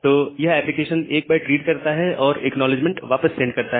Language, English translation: Hindi, So, the application reads that 1 byte and application sends back an acknowledgement